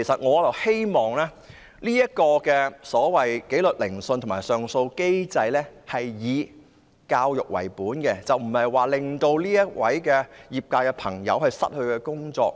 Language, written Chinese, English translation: Cantonese, 我希望紀律聆訊和上訴機制能以教育為本，不要令從業者失去工作。, I hope that the disciplinary hearing and appeal mechanisms will be education oriented and avoid making practitioners lose their jobs